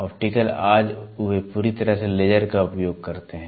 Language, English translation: Hindi, Optical today they use exhaustively laser